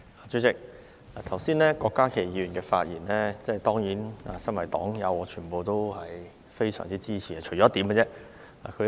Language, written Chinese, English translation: Cantonese, 主席，對於郭家麒議員剛才的發言，我身為黨友當然十分支持，除了其中一點。, Chairman as a comrade of Dr KWOK Ka - ki I certainly support what he said just now except for one point